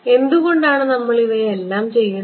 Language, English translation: Malayalam, Why are we doing all of these